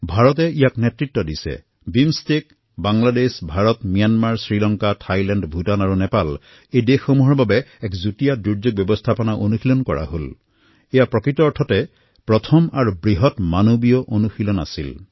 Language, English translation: Assamese, India has made a pioneering effort BIMSTEC, Bangladesh, India, Myanmar, Sri Lanka, Thailand, Bhutan & Nepal a joint disaster management exercise involving these countries was undertaken